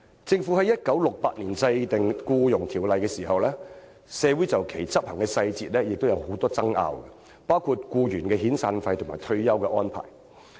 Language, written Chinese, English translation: Cantonese, 政府於1968年制定《僱傭條例》時，社會亦曾就條例的執行細節有很多爭拗，包括僱員的遣散費和退休安排。, When the Employment Ordinance was enacted in 1968 there were many disputes in society over the implementation details including employees severance payment and retirement arrangements